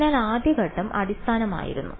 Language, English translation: Malayalam, So, first step was basis